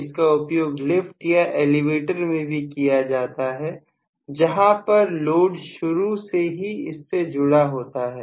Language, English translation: Hindi, It is very good for lifts or elevator, where you are going to have the load right from the beginning